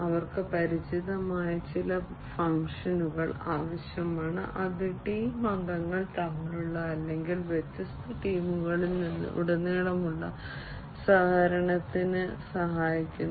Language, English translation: Malayalam, And they require some familiar function, which help in the collaboration between the team members or across different teams